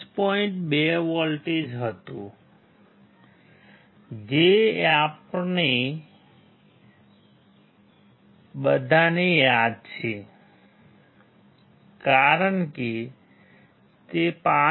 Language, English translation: Gujarati, 2 volts we all remember because that because it was 5